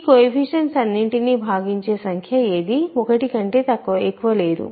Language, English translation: Telugu, There is no number greater than 1 that divides all these coefficients